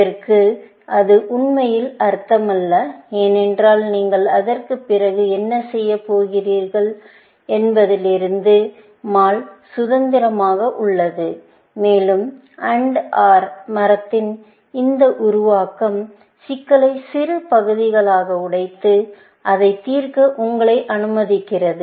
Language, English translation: Tamil, Now, that does not really make sense, because mall is independent of what you are going to do after that, and this formulation of AND OR tree, allows you to break up the problems into smaller parts, and solve it, essentially